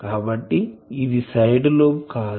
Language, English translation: Telugu, What is a side lobe